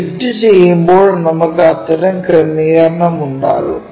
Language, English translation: Malayalam, When we are projecting that we will have such kind of arrangement